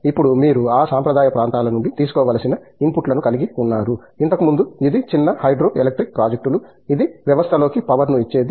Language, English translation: Telugu, Now, you have inputs to take from those traditional areas, where earlier it used to be small hydro electric projects which used to feed in power into the system